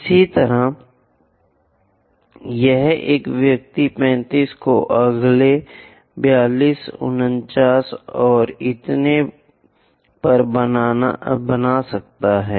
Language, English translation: Hindi, Similarly, here one can make 35 next 42, 49 and so on